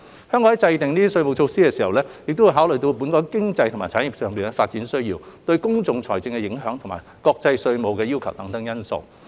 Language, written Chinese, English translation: Cantonese, 政府在制訂稅務措施時，會考慮本港經濟及產業發展的需要、對公共財政的影響，以及國際稅務要求等因素。, The Government will consider the development needs of the local economy and industries fiscal implications and international tax standards etc . in formulating tax measures